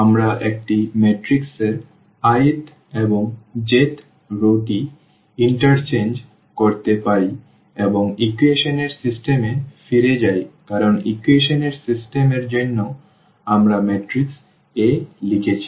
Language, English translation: Bengali, So, we can interchange the i th and the j th row of a matrix and if going back to the system of equations because for the system of equations we are writing the matrix A